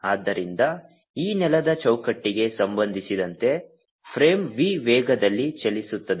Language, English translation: Kannada, so, with respect to the is ground frame, is frame is moving with velocity v